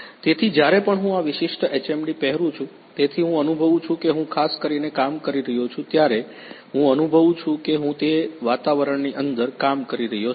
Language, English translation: Gujarati, So, whenever I am wearing this particular HMD, so I am feeling that I am particularly working I am feeling that I am working inside that environment